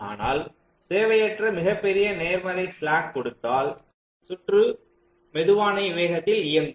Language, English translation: Tamil, so if i unnecessary give a very large positive slack, that means i am trying to run the circuit at a slower speed